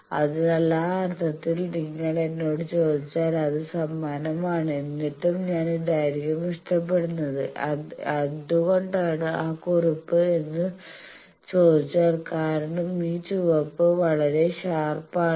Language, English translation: Malayalam, So, if you ask me in that sense it is same, but still I will prefer this, what is that black one why because you see the red one that is very sharp